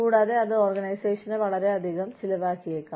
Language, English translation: Malayalam, And, that may end up, costing the organization, a lot